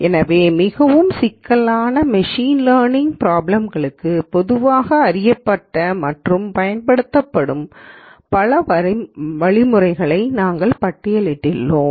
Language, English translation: Tamil, So, we have listed many of the commonly known and used algorithms for more complicated or more complex machine learning problems